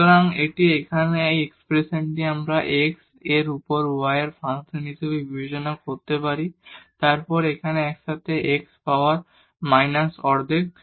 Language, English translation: Bengali, So, now this one here, this expression we can consider as the function of y over x and then what is together here x power minus half